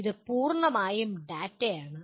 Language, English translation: Malayalam, It is purely data